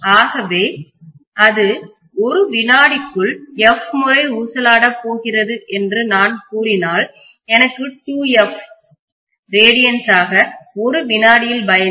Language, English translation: Tamil, So if I am saying that f times it is going to oscillate in 1 second I will have 2 pi times f as the radiance that is traversed within 1 second